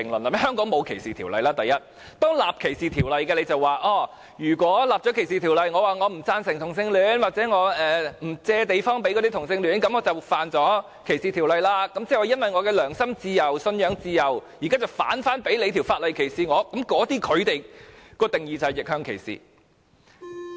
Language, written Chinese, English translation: Cantonese, 第一，香港沒有歧視條例，當制定歧視條例後，如果有人表示不贊成同性戀或不租借地方給同性戀者，便觸犯歧視條例，那麼他由於其良心自由、信仰自由，現在反被法例所歧視，這便是逆向歧視。, First there is no such anti - discrimination legislation in Hong Kong . Once such legislation is enacted expressing disapproval of homosexuality or refusing to rent a place to homosexuals would constitute a breach of the law while reverse discrimination means ones freedom of conscience or freedom of religion is discriminated by the anti - discrimination legislation itself . The discussion on same - sex relationship does not involve reverse discrimination